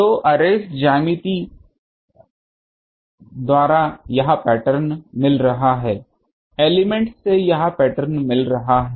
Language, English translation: Hindi, So, by arrays geometry am getting this pattern from the element am getting this pattern